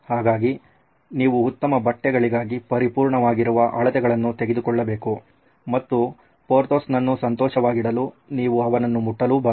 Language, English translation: Kannada, So to speak, for good fitting clothes your measurements have to be perfect and to keep Porthos happy, you cannot touch him